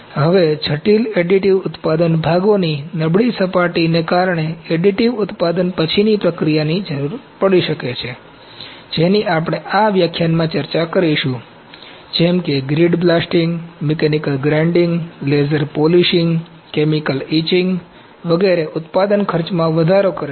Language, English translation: Gujarati, Now poor surface finish of complex additive manufacturing components may necessitate post additive manufacturing treatments, which we will discuss in this lecture such as, grid blasting, mechanical grinding, laser polishing, chemical etching etc